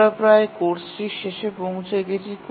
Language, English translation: Bengali, We are almost at the end of the course